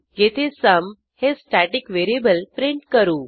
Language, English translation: Marathi, Here we print the static variable sum